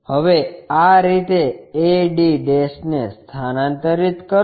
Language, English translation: Gujarati, Now, transfer this a d' in this way